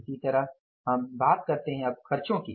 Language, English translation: Hindi, Similarly you talk about now the expenses